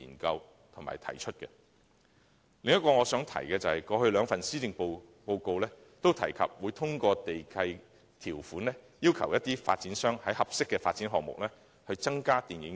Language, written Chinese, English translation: Cantonese, 我想提出的另一點是，過去兩份施政報告均提及會通過地契條款，要求發展商在合適的發展項目內增加電影院設施。, Another point I wish to raise is that it was mentioned in both of the two previous policy addresses that developers were required through land lease conditions to provide additional cinema facilities in suitable development projects